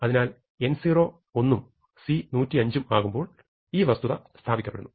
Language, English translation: Malayalam, So, for n 0 equal to 1 and c equal to 105 you have established this